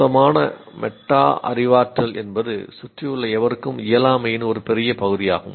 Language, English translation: Tamil, And poor metacognition is a big part of incompetence, anyone, anyone around